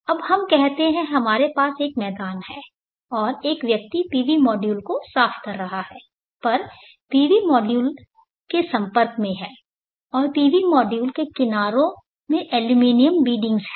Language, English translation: Hindi, Now let us say that I have a ground here, and a person is cleaning the PV modules and he's in contact with the PV modules, and the edges of the PV modules have aluminum beadings